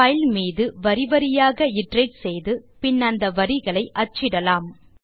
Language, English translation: Tamil, Let us iterate over the file line wise and print each of the lines